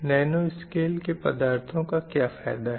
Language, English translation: Hindi, These materials are in the range of nano size